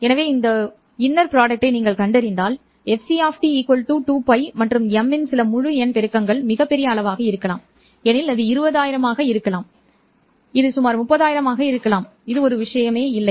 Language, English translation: Tamil, So, if you find this inner product and if you satisfy that fc of t is equal to some integer multiple of 2 pi and m can be very large quantity, it can be some 20,000, it can be some 30,000 doesn't matter